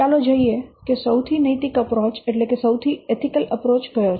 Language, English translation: Gujarati, So, now let's see which is the most ethical approach